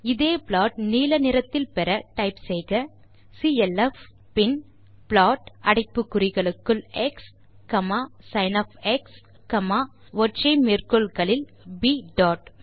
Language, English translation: Tamil, To get the same plot in blue color type clf, then type plot x, sin,within single quotes b dot